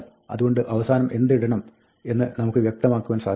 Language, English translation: Malayalam, So, we can specify what to put at the end